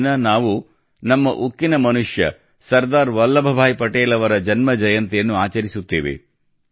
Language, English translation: Kannada, On this day we celebrate the birth anniversary of our Iron Man Sardar Vallabhbhai Patel